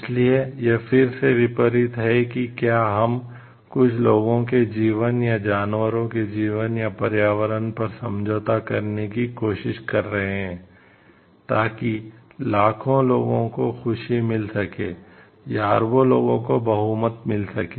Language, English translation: Hindi, So, again it is unlike whether we are looking for compromising on the lives of a few people, or animal lives or the environment to give bringing happiness to the maybe millions, or billions of people the majority